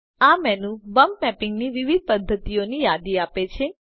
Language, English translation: Gujarati, This menu lists the different methods of bump mapping